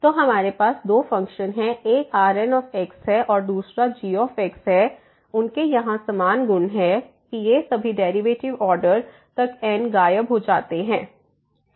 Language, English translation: Hindi, So, we have 2 functions one is and another one is they have similar properties here that all these derivative upto order they vanish